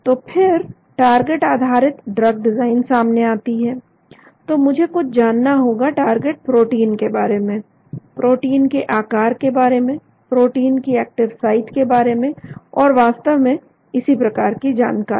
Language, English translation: Hindi, So then the target based drug design comes into picture, so I need to know something about the target protein, the size of the protein, the active site of the protein and so on actually